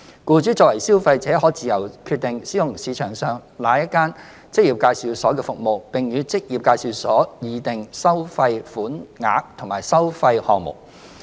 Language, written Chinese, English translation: Cantonese, 僱主作為消費者，可自由決定使用市場上哪一間職業介紹所的服務，並與職業介紹所議定收費款額和收費項目。, Employers as consumers are free to choose to engage the services of any EA in the market and negotiate with an EA the amount of fees to be charged and fee items